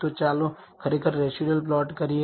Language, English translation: Gujarati, So, let us actually do the residual plot